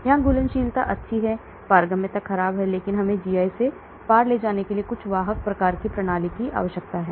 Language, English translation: Hindi, Here solubility is good permeability is poor, so we need some carrier type of system to carry it across the GI